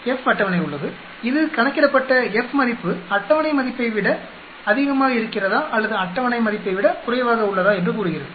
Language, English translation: Tamil, There is F table which says, whether the calculated F value is greater than the table value or it is less than the table value